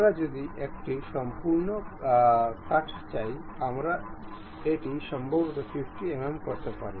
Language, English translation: Bengali, If we want complete cut, we can really make it all the way to maybe 50 mm